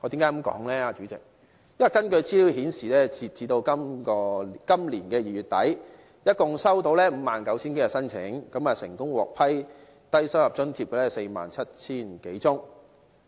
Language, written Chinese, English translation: Cantonese, 因為根據資料顯示，截至今年2月底，一共收到 59,000 多宗申請，成功獲批低收入在職家庭津貼的，有 47,000 多宗。, President my reason for saying so is that according to the information as at the end of February this year a total of 59 000 - odd applications for LIFA were received and over 47 000 applications were approved